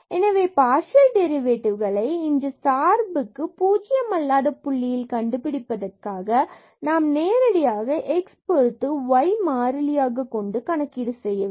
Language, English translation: Tamil, So, to get the partial derivative of this function at this non origin point, then we have to we can just directly get the derivative of this function with respect to x treating this y as constant